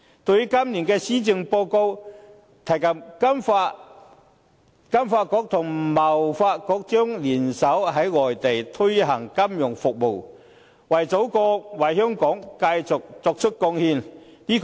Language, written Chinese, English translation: Cantonese, 對於今年的施政報告，提及金發局和香港貿易發展局將聯手在外地推行金融服務業，為祖國、為香港繼續作出貢獻。, The Policy Address this year mentions that the Hong Kong Trade Development Council TDC will collaborate with FSDC in the promotion of our financial services industry outside Hong Kong so that we can continue to make contributions to our mother country as well as to Hong Kong